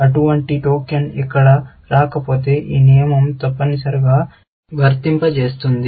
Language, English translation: Telugu, If there is no such token coming here, then this rule will fire, essentially